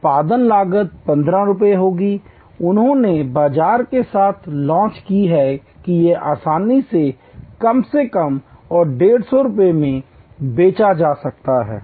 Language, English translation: Hindi, The production cost will be 15 rupees and they did check with the market that it can easily be resold at least and 150 rupees